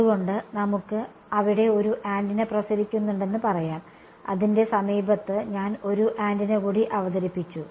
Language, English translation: Malayalam, So let us say there is one antenna radiating and I have introduced one more antenna in its vicinity ok